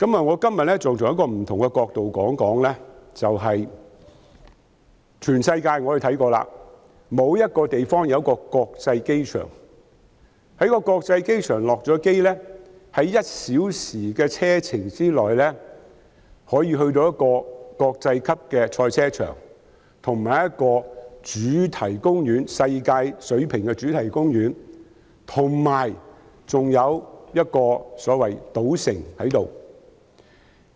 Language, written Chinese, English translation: Cantonese, 我今天想從另一個角度說說，我研究過全世界多個地方，沒有一個地方的國際機場會容許旅客下機後，在1小時的車程內便到達一個國際級的賽車場和世界水平的主題公園，以及一個所謂的賭城。, I wish to talk about it from another angle today . After studying many places around the world I have not found a place where air passengers who have disembarked at an international airport can arrive at an international motor racing circuit a world - class theme park and a casino city within a one - hour drive